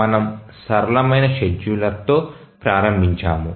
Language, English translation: Telugu, We will start with the simplest scheduler